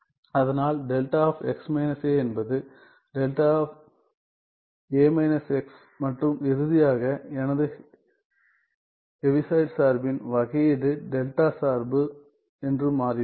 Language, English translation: Tamil, So, delta of x minus a is delta of a minus x and finally, it turns out that the derivative of my Heaviside function is the delta function right